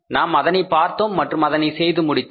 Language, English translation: Tamil, We have seen it and we have done it